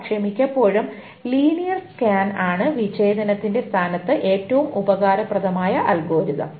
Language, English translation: Malayalam, But mostly it's the linear scan that is the most useful algorithm in place of disjunction